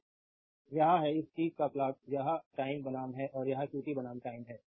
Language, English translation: Hindi, So, this is the plot of your this thing it versus time and this is your qt versus time this is the plot